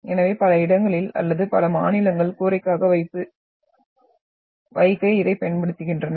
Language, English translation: Tamil, So in many places or the many states use this as to put the roof as roofing purposes